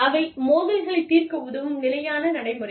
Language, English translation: Tamil, And, they are standard procedures, that help resolve, conflicts